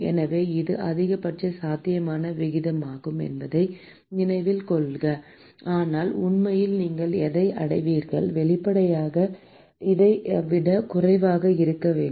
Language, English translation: Tamil, So, note that this is maximum possible rate, but what you will actually achieve in reality will; obviously, be lesser than this